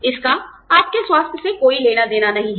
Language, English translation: Hindi, It has nothing to do with your health